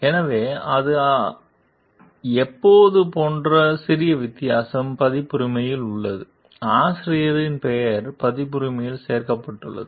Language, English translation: Tamil, So, that is the slight difference like when; there is a copyright, the author s name is included in the copyright